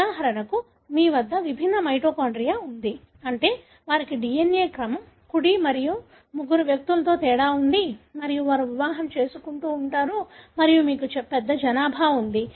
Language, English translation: Telugu, For example you have, different mitochondria, meaning they have difference in the DNA sequence, right and three individuals and they keep marrying and you have a large population